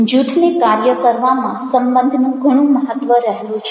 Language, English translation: Gujarati, relationship matter a lot in the functioning of the group